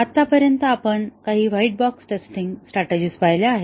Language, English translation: Marathi, So far, we have seen some white box testing strategies